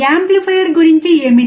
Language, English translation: Telugu, What about amplifier